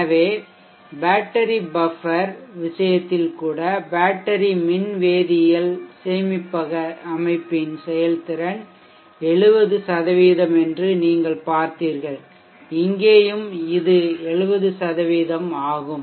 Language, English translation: Tamil, So you saw that even in the case of the battery buffer the efficiency of the battery electrochemical storage system is around 70 percent here also it is around 70 percent